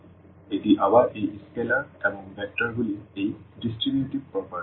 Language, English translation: Bengali, So, this is again this distributivity property of these scalars and vectors